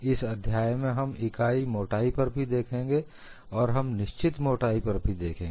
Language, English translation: Hindi, In this chapter, we would look at for unit thickness; we would also look at for finite thickness and so on